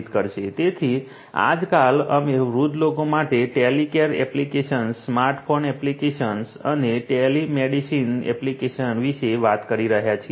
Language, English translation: Gujarati, So, now a days, we are talking about having Telecare applications, smart phone applications, telemedicine applications for elderly people